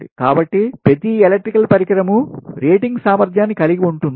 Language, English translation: Telugu, so each electrical device has its rated capacity